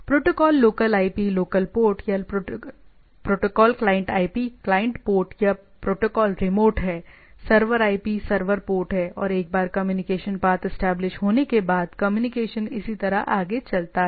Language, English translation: Hindi, So, protocol local IP local port or protocol client IP client port or protocol remote there is server IP server port and it once that communication path is there established and the goes on